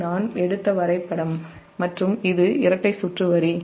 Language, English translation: Tamil, this is a diagram i have taken and this is a double circuit line